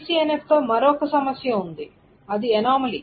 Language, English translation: Telugu, There is another problem with BCNF